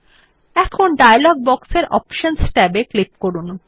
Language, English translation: Bengali, Now let us click on the Options tab in the dialog box